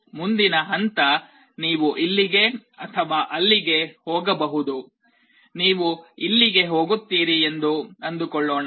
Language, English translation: Kannada, Next step you either go up here or here, let us say you go here like this